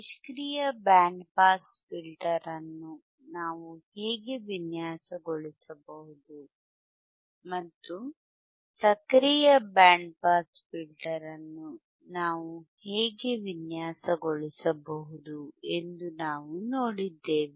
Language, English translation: Kannada, And how we can how we can design the passive band pass filter, and how we can design the active band pass filter, right